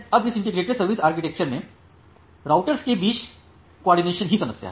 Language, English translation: Hindi, Now in this integrated service architecture the problem is that, this coordination among the routers